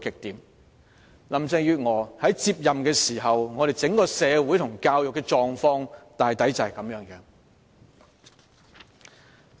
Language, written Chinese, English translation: Cantonese, 當林鄭月娥接任時，我們社會和教育的整體狀況大概便是如此。, This is broadly the overall picture of society and education when Carrie LAM took office